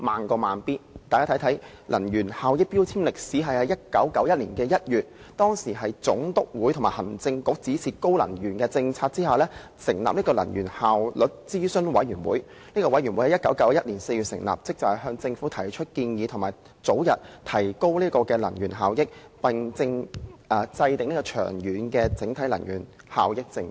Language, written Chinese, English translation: Cantonese, 關乎能源標籤的歷史，早於1991年2月，當時的總督會同行政局指示制訂提高能源效益的政策，並成立能源效率諮詢委員會，該委員會在1991年4月成立，職責是向政府提出建議，早日提高能源效益，並制訂長遠的整體能源效益政策。, Regarding the history of energy labels as early as February 1991 the then Governor in Council directed that a policy be formulated to increase energy efficiency and approved the establishment of an Energy Efficiency Advisory Committee . The Committee was set up in April 1991 and tasked to advise the Government on proposals to bring in early improvements in energy efficiency as well as to formulate a comprehensive energy efficiency policy in the long run